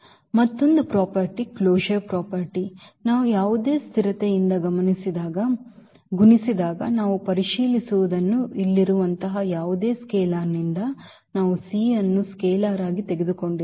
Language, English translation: Kannada, And another property the closure property what we check when we multiply by any constant any scalar like here we have taken the c as a scalar